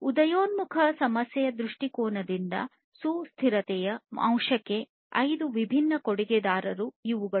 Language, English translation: Kannada, These are the five different contributors to the to the sustainability factor from an emerging issue viewpoint